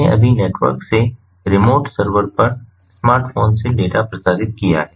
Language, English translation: Hindi, we just transmitted data from the smartphone over the network to the remote server